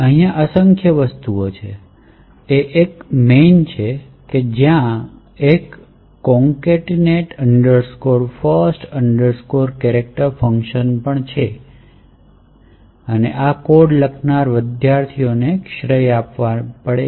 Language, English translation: Gujarati, C and there is essentially, did a lot of things, there was a main and there was a concatenate first chars function and I have to give credit to the students who wrote this codes